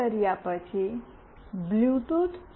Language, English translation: Gujarati, After doing this, the bluetooth